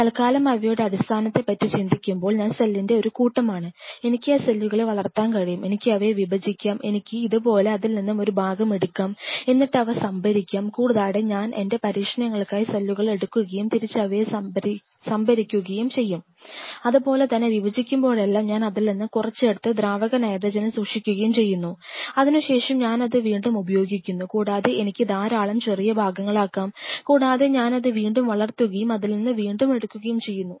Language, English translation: Malayalam, But just for the time being think of it key I am a mass of cell, unique mass of cell, and I can grow them, I can divide them, I can take a part of it like this, and I can store it, and I go this once and do my experiment I pulled out this part and take again growth and, again store a part of it; likewise every time whenever I am dividing them I am taking a part and store it in liquid nitrogen when after that again I am using it and I can make it in number of aliquots of it and I take aliquot I grow it and I again a take small part of it